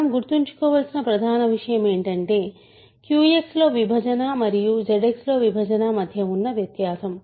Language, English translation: Telugu, But main thing to keep in mind is the difference between division in Q X and division in Z X